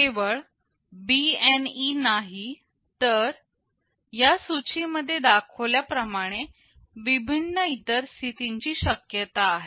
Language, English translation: Marathi, Not only BNE, a variety of other conditions are possible as this list shows